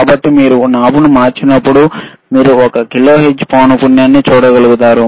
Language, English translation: Telugu, So, when you when you change the knob, what you are able to see is you are able to see the one kilohertz frequency